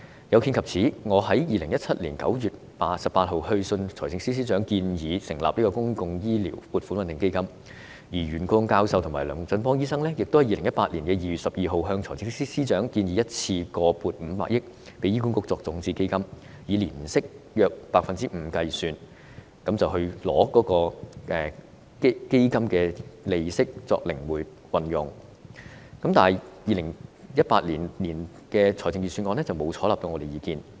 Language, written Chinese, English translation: Cantonese, 有見及此，我在2017年9月18日致函財政司司長，建議成立公共醫療撥款穩定基金，而袁國勇教授及龍振邦醫生亦在2018年2月12日向財政司司長建議，一次性撥款500億元予醫管局作為種子基金，以年息約 5% 計算，並把基金利息靈活運用，但2018年預算案沒有採納我們的意見。, For this reason I wrote to the Financial Secretary on 18 September 2017 to propose the establishment of a public health care stabilization fund . Prof YUEN Kwok - yung and Dr David LUNG also suggested to the Financial Secretary on 12 February 2018 the provision of a lump sum grant of 50 billion to HA as seed money . At an annual interest rate of about 5 % the fund interests should be flexibly used